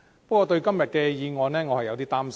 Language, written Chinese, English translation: Cantonese, 不過，對於今天的議案，我有點擔心。, But I am a bit concerned about the motion today